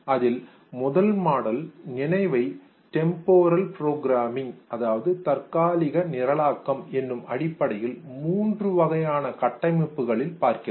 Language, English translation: Tamil, The first model which tried to look at memory in terms of the three types of structures based on its temporal programming